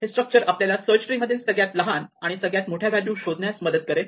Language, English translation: Marathi, It will be useful later on to be able to find the smallest and largest values in a search tree